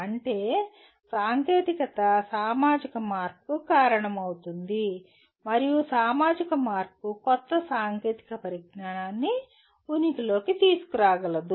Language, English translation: Telugu, That means a technology can cause a societal change and a societal change can encourage or bring new technology into existence